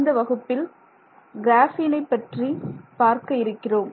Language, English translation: Tamil, Hello, in this class we are going to look at graphene